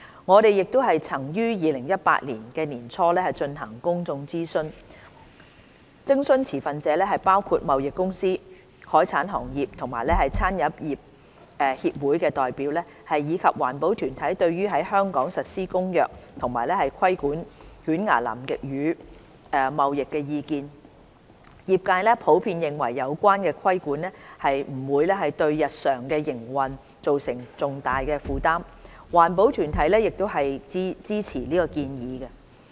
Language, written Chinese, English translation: Cantonese, 我們亦曾於2018年年初進行公眾諮詢，徵詢持份者包括貿易公司、海產行業和餐飲業協會的代表，以及環保團體對於在香港實施《公約》及規管犬牙南極魚貿易的意見，業界普遍認為有關的規管不會對日常營運造成重大負擔，環保團體亦支持建議。, We also conducted a public consultation in early 2018 to gauge the views of stakeholders including trading companies representatives of seafood trade and catering associations as well as environmental groups on the implementation of CCAMLR and regulation of toothfish trading in Hong Kong . The trade generally considers that the relevant regulation will not cause significant burden on their daily operation . Environmental groups also support the proposal